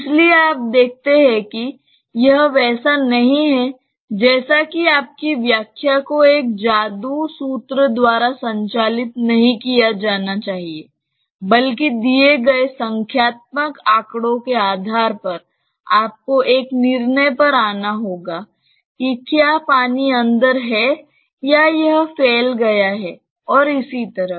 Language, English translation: Hindi, So, you see that it is not just like your solution should not be driven by a magic formula, but based on the numerical data given, you have to come to a decision whether the water is there inside or it has got spilled and so on